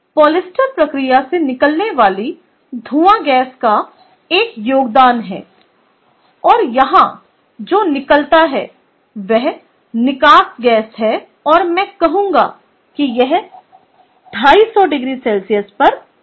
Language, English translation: Hindi, there is a contribution of the fume gas that is coming out of the polyester process, and what comes out here is the exhaust gas at and i would say at, two, six, two fifty degree centigrade